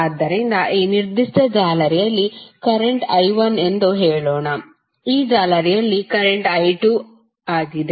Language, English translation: Kannada, So, let us say that in this particular mesh the current is I 1, in this mesh is current is I 2